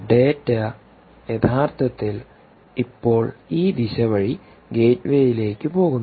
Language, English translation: Malayalam, so data is actually going in this direction, to this gateway